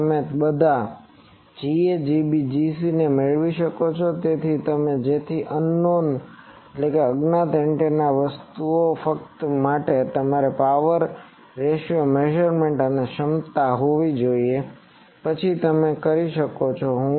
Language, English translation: Gujarati, So, you can get all G a G b G c, so an unknown antenna thing only thing you will need to have this power ratio measurement and capability then you can do